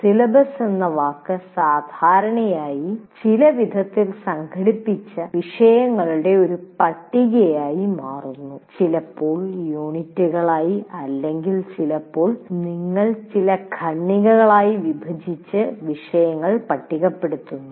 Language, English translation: Malayalam, Here the moment you utter the word syllabus, what you have is a list of topics organized in some fashion, sometimes as units or sometimes as based on the topic, you divide them into some paragraphs and list the topics